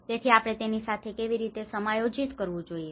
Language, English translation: Gujarati, So how we have to adjust with that